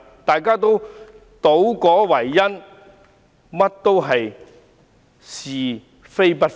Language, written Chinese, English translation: Cantonese, 大家都倒果為因，是非不分。, People have taken the consequences for the cause and confused right and wrong